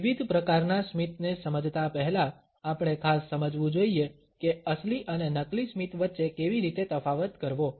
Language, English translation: Gujarati, Before going further into understanding different types of a smiles, we must understand how to differentiate between a genuine and a fake smile